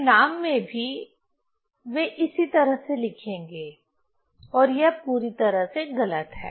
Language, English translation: Hindi, So in result also they will write in same way and that is completely wrong